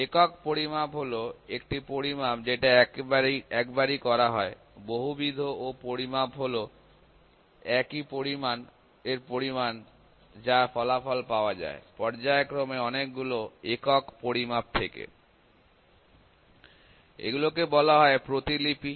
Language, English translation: Bengali, Single measurement is a measurement that is performed only ones, multiple measurement is a measurement of the same quantity in which the result is obtained from several single measurements in a succession; so, these are called replicates